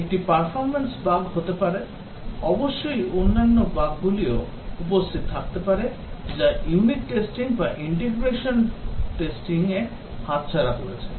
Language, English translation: Bengali, One can be a performance bug; of course the other bugs can also exist which have escaped unit testing or integration testing